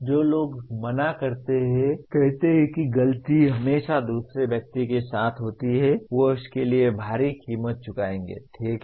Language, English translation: Hindi, Those who refuse, say always the fault lies with the other person, they will pay a heavy price for that, okay